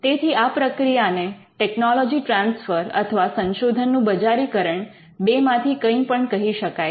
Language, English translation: Gujarati, So, we call it transfer of technology or commercialization of research